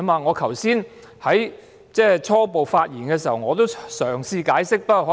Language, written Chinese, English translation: Cantonese, 我剛才在開場發言時已嘗試解釋。, I already tried to explain it in my opening remarks just now